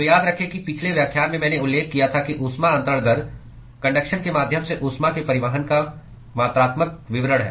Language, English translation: Hindi, So, remember in the last lecture I mentioned that heat transfer rate is the quantifying description of the transport of heat via conduction